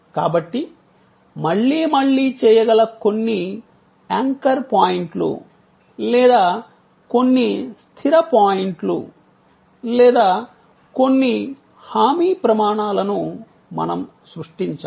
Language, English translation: Telugu, So, we have to create some anchor points or some fixed points or some assured standards, which can be repeated again and again